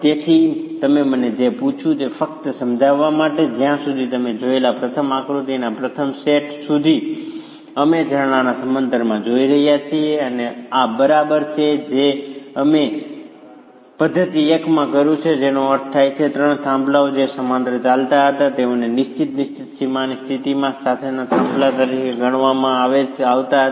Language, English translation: Gujarati, So just to paraphrase what you asked me, as far as the first set of the first figure that you have seen, we are looking at springs in parallel and this is exactly what we did in method one which means those three peers which were running in parallel were considered as peers with fixed fixed boundary conditions